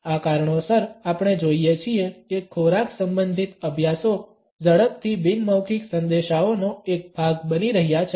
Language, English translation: Gujarati, Because of these reasons we find that food studies are fast becoming a part of nonverbal messages